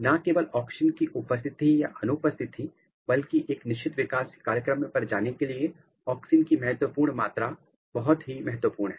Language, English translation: Hindi, Not only presence or absence of auxin, but critical amount of auxin is very very important for switching on a certain developmental program